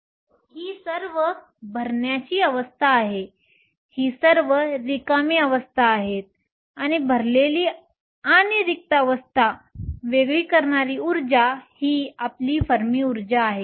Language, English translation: Marathi, So, that these are all the fill states and these are all the empty states and the energy separating the filled and the empty states is your Fermi energy